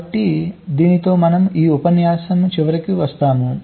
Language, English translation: Telugu, so i think with this we come to the end of this lecture